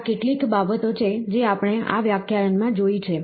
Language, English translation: Gujarati, These are certain things, which we have gone through in this lecture